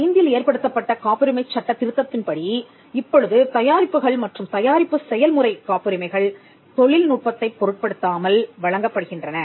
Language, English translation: Tamil, So, with the amendment of the patents act in 2005, we now offer product and process patents irrespective of the technology